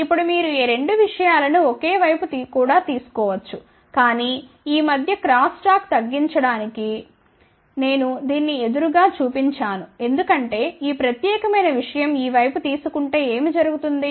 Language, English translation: Telugu, Now, you can take these two things on the same side also, but I have shown it on the opposite side mainly to reduce the cross talk between this because what happens if this particular thing is taken on this side